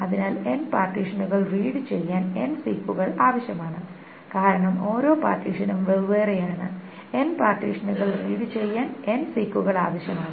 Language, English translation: Malayalam, So then reading the N partitions require, reading N partitions require N6, because each partition is in a separate thing, reading N partitions that requires N6